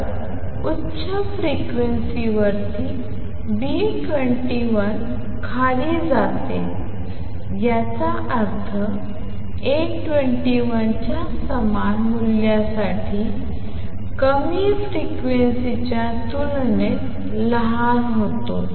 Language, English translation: Marathi, So, at high frequencies B 21 goes down; that means, becomes smaller compared to low frequencies for same value of A 21